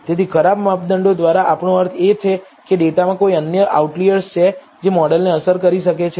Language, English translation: Gujarati, So, by bad measurements we mean are there any other outliers in the data which could affect the model